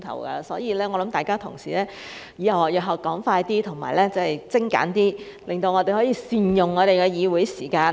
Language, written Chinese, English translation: Cantonese, 因此，我想請各位同事日後說快一點，精簡一點，讓我們可以善用議會時間。, Therefore I would like to ask colleagues to speak faster and more concisely in future so that we can make good use of the Councils time